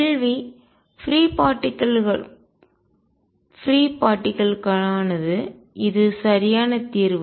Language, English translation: Tamil, The question is for free particles which one is the correct solution